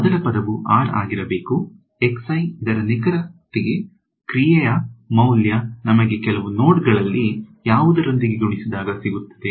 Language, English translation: Kannada, First term should be the r of x i exactly the value of the function at some node multiplied by